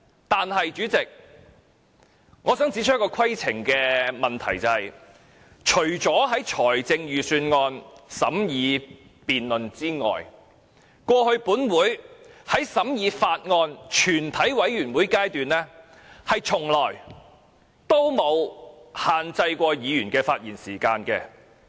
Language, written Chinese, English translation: Cantonese, 但是，主席，我想指出一個規程問題，除了審議財政預算案的辯論之外，過去本會在全體委會員審議階段，從沒有限制議員的發言時間。, However Chairman I would like to raise a point of order . Apart from the Budget debate this Council has never restricted the speaking time of Members at the Committee stage